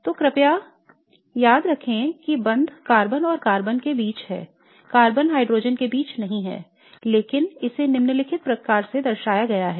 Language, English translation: Hindi, So please remember that the bond is between carbon and carbon, not between carbon and hydrogen but it is represented in this following way